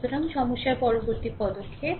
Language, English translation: Bengali, So, next move to the problem